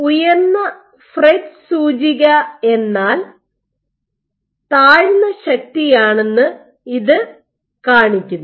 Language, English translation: Malayalam, This shows that higher FRET index means lower force